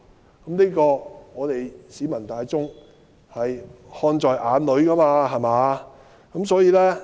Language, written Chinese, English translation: Cantonese, 就這些情況，我們市民大眾是看在眼內的。, These are too obvious to the discerning eyes of the public